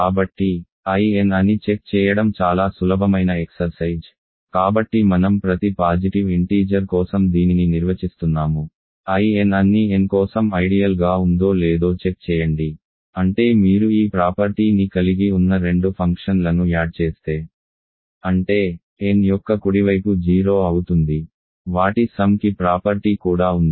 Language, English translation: Telugu, So, it is an easy exercise to check that I n, so I am defining this for every positive integer, check that in is an ideal for all n, that is because if you add two functions which have this property; that means, their identical is 0 to the right of n; their sum also has the property